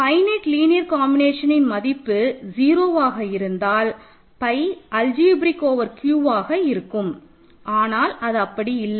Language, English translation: Tamil, But if a finite linear combination of this is 0; that means, pi is algebraic over Q which it is not